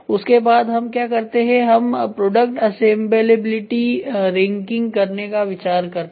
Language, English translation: Hindi, Then what we do is we look for product assemblability ranking